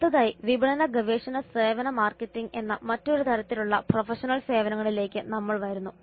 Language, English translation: Malayalam, Next we come to another type of professional services which is marketing research services marketing